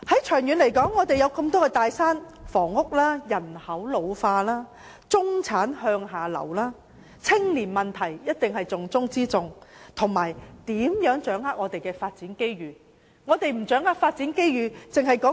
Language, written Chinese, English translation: Cantonese, 長遠而言，面對多座大山，例如房屋、人口老化、中產向下流，還有重中之重的青年問題，我們如何掌握發展機遇？, In the long run when facing immense difficulties such as the housing problem an ageing population downward mobility of the middle class and the youth problem which is the prime concern how can we grasp the opportunities for development?